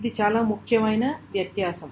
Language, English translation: Telugu, So that is a very important difference